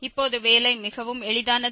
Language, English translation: Tamil, And now it is much simpler to work with